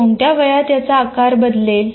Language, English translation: Marathi, At what age the size will change